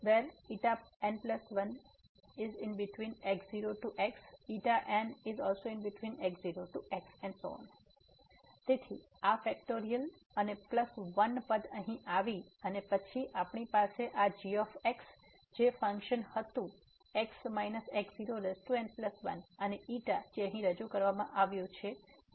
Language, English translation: Gujarati, So therefore, this factorial and plus 1 term came here and then we have this which was the function minus power plus 1 and the xi which is introduced here xi plus 1